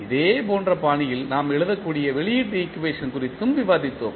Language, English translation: Tamil, We also discussed that the output equation we can write in the similar fashion